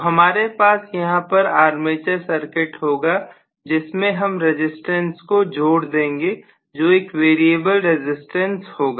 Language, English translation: Hindi, So we are going to have essentially the same armature here and then I am going to include a resistance which is the variable resistance